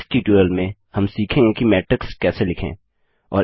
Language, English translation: Hindi, Now let us write an example for Matrix addition